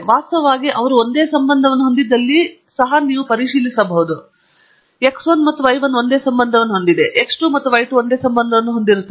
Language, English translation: Kannada, In fact, you can also check if they have the same correlation; that is x 1 and y 1 have the same correlation, x 2 and y 2 have the same correlation and so on